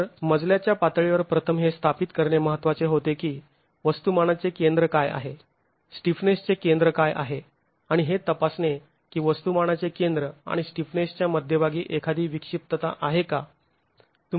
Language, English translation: Marathi, So, at the level of a story, it becomes important to first establish what is the center of mass, what is the center of stiffness, and examine if there is an eccentricity between the center of mass and the center of stiffness